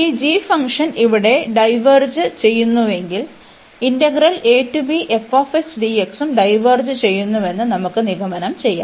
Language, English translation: Malayalam, And if this g function diverges here, so if this g diverges we can conclude that the other integral, which is a to b f x dx that also diverges